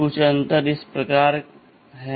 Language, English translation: Hindi, Some of the differences are as follows